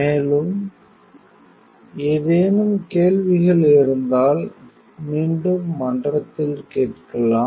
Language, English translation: Tamil, And any questions again you are free to ask me in a forum